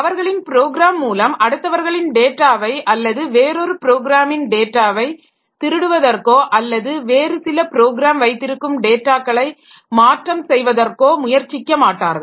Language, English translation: Tamil, So, they don't try to, one program does not try to steal the data of others or one program does not try to modify the data which is held by some other program